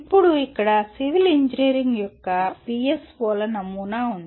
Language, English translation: Telugu, Now here is a sample of PSOs of civil engineering